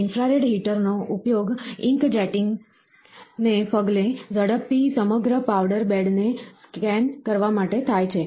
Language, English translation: Gujarati, The infrared heater is used to scan the entire powder bed quickly following the ink jetting